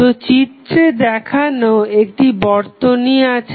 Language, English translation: Bengali, So, we have the circuit given in the figure